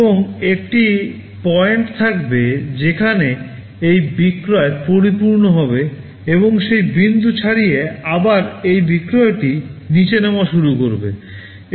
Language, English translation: Bengali, And there will be a point where this sale will saturate and beyond that point again this sale will start dropping down